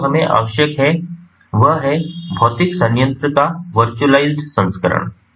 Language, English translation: Hindi, so what we, what is required, is to have a virtualized version of a physical plant